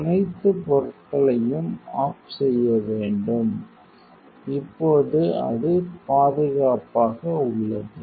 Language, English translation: Tamil, You have to switch off all the things safe now it is in safety